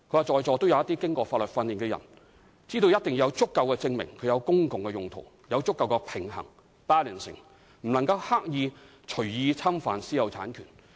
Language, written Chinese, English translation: Cantonese, 政府必須有足夠證明，證明收回的土地是作公共用途，要有足夠的平衡，而非刻意隨意侵犯私有產權。, The Government must present sufficient proof to prove that the sites recovered are for public purposes . It is a matter of balancing and we are not deliberately infringing private property rights in an arbitrary manner